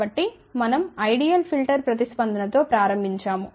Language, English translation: Telugu, So, we had started with the ideal filter response